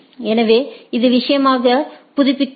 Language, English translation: Tamil, So, it updates as the thing